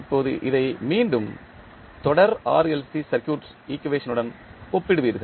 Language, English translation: Tamil, Now, you will compare this again with the series RLC circuit equation